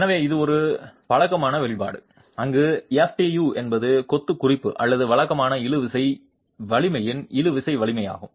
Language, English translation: Tamil, So, this is a familiar expression where FTU is the tensile strength of the referential or conventional tensile strength of masonry